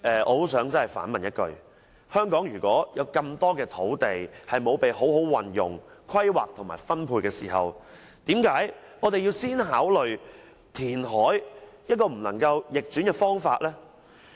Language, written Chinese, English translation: Cantonese, 我想反問一句，香港有那麼多土地未被好好運用、規劃和分配，我們為何要先考慮填海這個不能逆轉的方法？, I would like to ask in return There are so many lands in Hong Kong that have not been put into proper use planning and allocation why should we first consider the option of reclamation which will have irreversible impact?